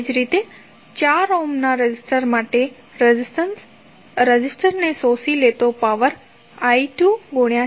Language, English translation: Gujarati, Similarly for 4 ohm resistor, the power absorbed the resistor would be I 2 square into 4 and that would be 436